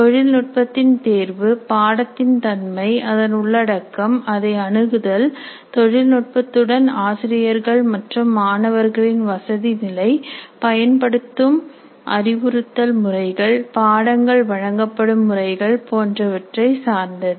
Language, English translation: Tamil, The choice of technologies depends on the nature of the courses, the content, the access, comfort levels of faculty and students with the technology, instructional methods used, and system under which the courses are offered